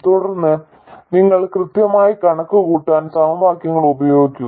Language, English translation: Malayalam, And then you use equations to accurately calculate